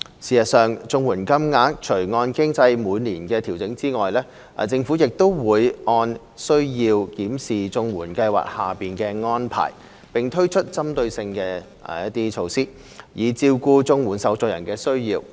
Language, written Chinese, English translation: Cantonese, 事實上，綜援金額除按機制每年調整外，政府亦會按需要檢視綜援計劃的安排，並推出針對措施，以照顧綜援受助人的需要。, In fact apart from the annual adjustment in CSSA payments in accordance with the mechanism the Government will review the arrangements of the CSSA Scheme as necessary and introduce targeted measures thereby catering for the needs of CSSA recipients